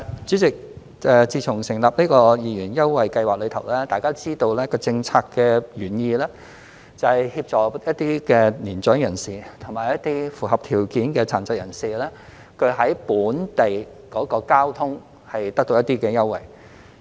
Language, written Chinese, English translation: Cantonese, 主席，自從成立二元優惠計劃後，大家都知道，政策原意是協助一些年長人士和符合條件的殘疾人士在使用本地公共交通方面得到一些優惠。, President since the launching of the 2 Scheme Members also know that the policy intent is to assist some elderly persons and eligible persons with disabilities in getting some concessions on the use of local public transport